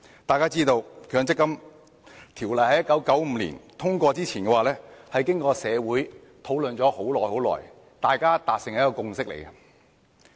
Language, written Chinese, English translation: Cantonese, 大家知道，《強制性公積金計劃條例》在1995年通過之前，社會經過長時間討論，大家才達成共識。, As we all know before the enactment of the Mandatory Provident Fund Schemes Ordinance in 1995 there had been long discussions in society before a consensus could be forged